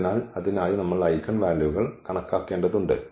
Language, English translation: Malayalam, So, for that we need to compute the eigenvalues